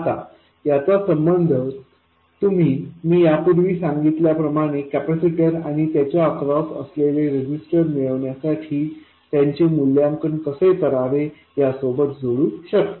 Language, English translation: Marathi, Now you can also relate this to the other thing I said earlier, how to evaluate this is to identify the capacitor and the resistance across it